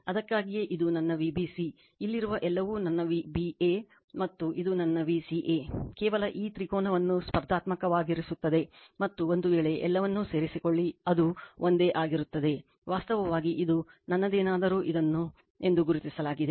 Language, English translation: Kannada, That is why this is my V bc whatever is here that is my V ab and this is my V ca just you make competitive this triangle and if, you join all it will be same actually this is my same some your something is marked this as a m right